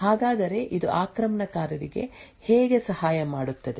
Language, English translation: Kannada, So how does this help the attacker